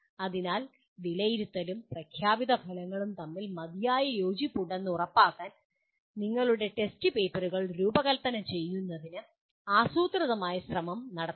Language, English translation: Malayalam, So a systematic effort should be made in designing your test papers to ensure there is adequate alignment between assessment and the stated outcomes